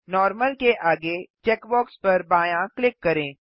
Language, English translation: Hindi, Left click the check box next to Normal